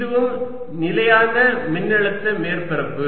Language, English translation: Tamil, then this is also constant potential surface